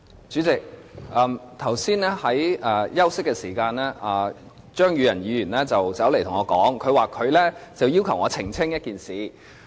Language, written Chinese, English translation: Cantonese, 主席，剛才休息的時候，張宇人議員走過來，要求我澄清一件事。, President Mr Tommy CHEUNG came and asked me to make a clarification during the break just now